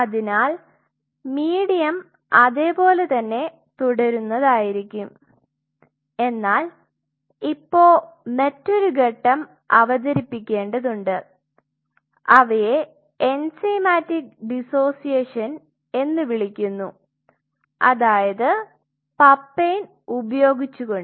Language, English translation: Malayalam, So, medium remains more or less the same except that now you have to introduce another step which are which is called enzymatic dissociation which is the papain ok